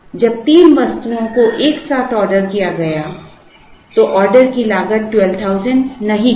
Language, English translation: Hindi, When three items were combined, the order cost was not 12000